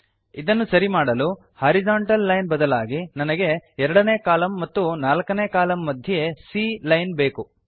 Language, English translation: Kannada, So this is taken care of by saying instead of this horizontal line, I want a C line and between the columns 2 and 4